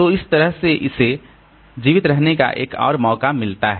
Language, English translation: Hindi, So, that way it gets another chance to survive